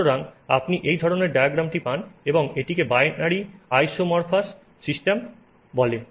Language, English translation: Bengali, So, so therefore you get this kind of a diagram and this is called a binary isomorphous system